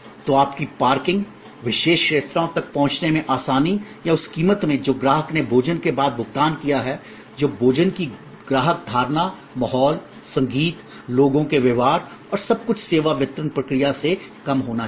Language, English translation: Hindi, So, your parking is, ease of reaching the particular restaurant or in the price that the customer has paid after the meal all that must be less than the customer perception of the food, the ambiance, the music, the behavior of people everything and the service delivery process